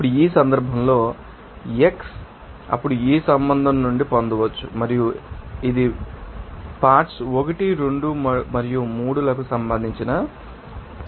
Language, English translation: Telugu, Now, in this case the xi then can be obtained as you know from this relationship and which will give you that respective you know our competition for that our components 1, 2 and 3